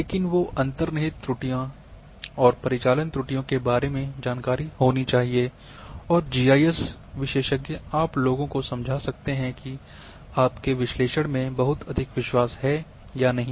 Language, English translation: Hindi, but the information or knowledge about inherent errors and operational errors must be there with the GIS experts that you can explain to the people that this much of confidence you are having in your analysis